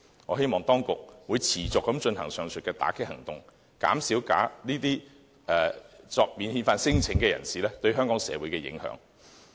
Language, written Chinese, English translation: Cantonese, 我希望當局持續進行上述打擊行動，減少這些免遣反聲請人士對香港社會的影響。, I hope that the authorities will continue with their aforesaid enforcement actions to reduce the impact of non - refoulement claimants on the society of Hong Kong